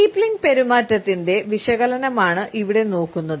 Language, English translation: Malayalam, Here we can look at an analysis of the steepling behavior